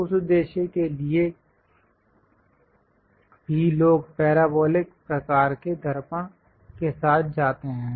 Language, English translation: Hindi, For that purpose also people go with parabolic kind of mirrors